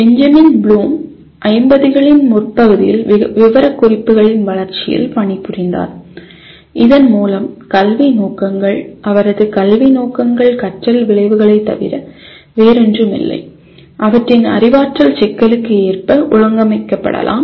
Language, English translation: Tamil, Benjamin Bloom was working in early ‘50s on the development of specifications through which educational objectives, his educational objectives are nothing but learning outcomes, could be organized according to their cognitive complexity